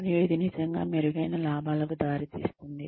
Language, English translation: Telugu, And, will it really, result in enhanced profits